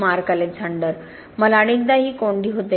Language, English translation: Marathi, Mark Alexander: I often had this dilemma